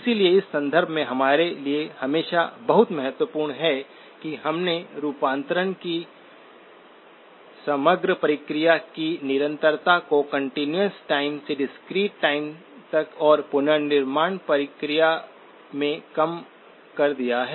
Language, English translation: Hindi, So in this context, always very important for us, that we have reduced the complexity of the overall process of conversion from the continuous time to the discrete time and in the reconstruction process